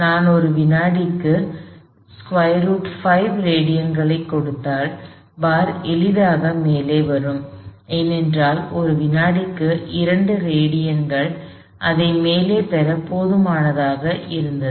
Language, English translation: Tamil, If I give it square root of 5 radians per second, the bar would get to the top easily, because 2 radians per second was enough to get it to the top